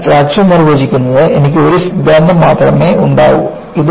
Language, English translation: Malayalam, So, I should have only one theory for fracture to be defined